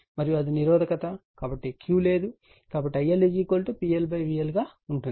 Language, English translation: Telugu, And it is a resistive, so no Q, so I L should be is equal to P L upon V L